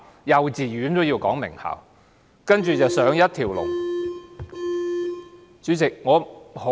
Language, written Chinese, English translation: Cantonese, 幼稚園都要入名校，然後"一條龍"直上大學。, They hope that their children can be admitted to a prestigious kindergarten and then go all the way up to a university